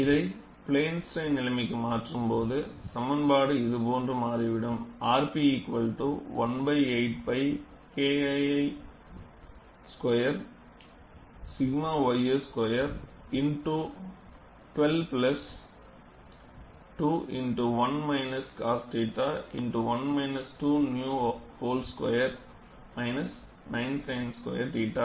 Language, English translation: Tamil, And when they change it to plane strain situation the expression turn out to be like this, r p equal to 1 by 8 pi K 2 squared by sigma ys squared, multiplied by 12 plus 2 into 1 minus cos theta, multiplied by 1 minus 2 nu whole square minus 9 sin square theta